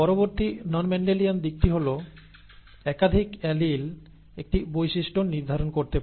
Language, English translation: Bengali, The next non Mendelian aspect is that, multiple alleles can determine a trait